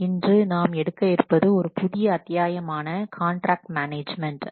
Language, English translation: Tamil, Today we will take up a new chapter on contract management